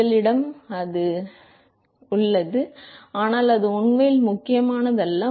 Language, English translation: Tamil, We have it good, well and good, but that is not really important